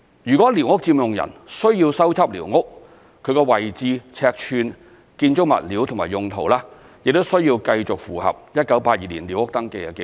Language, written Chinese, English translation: Cantonese, 如寮屋佔用人需要修葺寮屋，其位置、尺寸、建築物料及用途，亦須繼續符合1982年寮屋登記的紀錄。, If the occupants need to repair their squatter structures the location size building materials and uses of the structures will have to remain the same as those recorded in the 1982 SCS after the repair